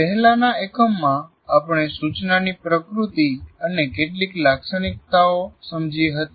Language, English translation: Gujarati, In our earlier unit, we understood the nature and some of the characteristics of instruction